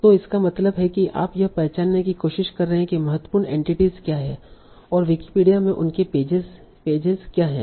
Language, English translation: Hindi, So that means you are trying to identify what are the important entities and what are their pages in Wikipedia